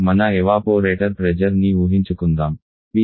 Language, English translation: Telugu, Like suppose your evaporater pressure PE is equal to 0